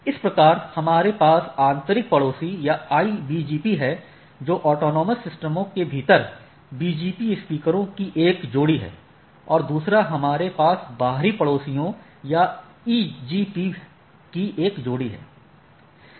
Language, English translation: Hindi, There accordingly we have internal neighbor or IBGP a pair of BGP speakers within the autonomous systems and we have external neighbor or EBGP or a pair of BGP neighbors each in a different autonomous systems right